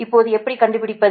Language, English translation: Tamil, now how to find out